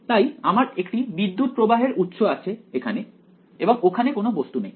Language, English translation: Bengali, So, I have the current source over here and there is no object over here